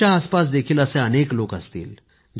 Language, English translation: Marathi, There must be many such people around you too